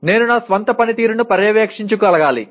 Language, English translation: Telugu, I should be able to monitor my own performance